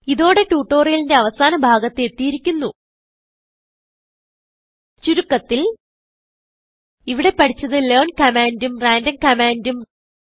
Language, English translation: Malayalam, Lets summarize In this tutorial we have learnt about, learn command and random command